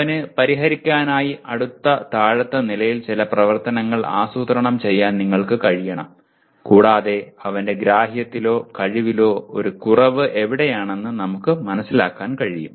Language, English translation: Malayalam, And you must be able to plan some activity at the next lower level for him to kind of solve and for us to understand where exactly there is a deficiency in his understanding or ability